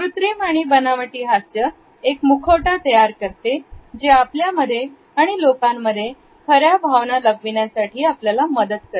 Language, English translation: Marathi, A fake smile similarly is used to create a mask, a barrier between us and other people to hide the true emotion